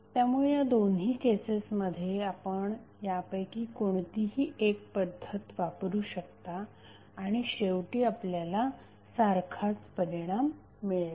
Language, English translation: Marathi, So, in both of the cases you can use either of them and you will get eventually the same result